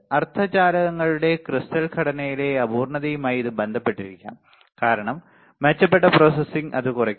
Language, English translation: Malayalam, It may be related to imperfection in the crystalline structure of semiconductors as better processing can reduce it